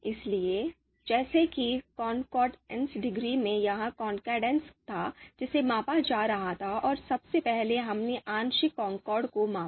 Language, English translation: Hindi, So just like in the you know concordance degree you know it was the you know concordance which was being measured and first we measured the partial concordance